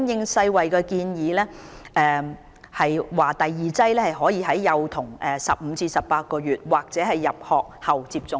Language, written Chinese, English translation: Cantonese, 世衞建議第二劑疫苗可以在兒童15個月至18個月時或入學後接種。, According to the recommendation of WHO the second dose of measles vaccine can be given to children at the age of 15 to 18 months or at the time of school entry